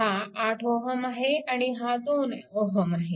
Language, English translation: Marathi, And this 8 ohm is here